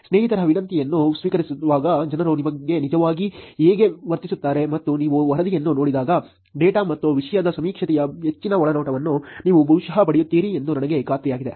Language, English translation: Kannada, How people actually behave while accepting friends request and I am sure when you look at the report, you will probably get more insights of the survey of the data and of the topic itself